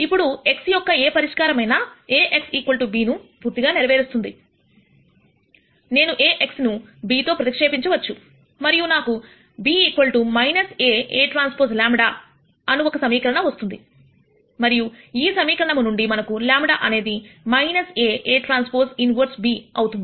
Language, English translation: Telugu, Now since any solution x satis es A x equal to b, I can replace this A x by b and I get this equation b equal to minus A A transpose lambda and from this equation we can get lambda to be minus A A transpose inverse b